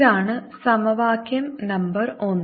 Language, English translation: Malayalam, this is equation number one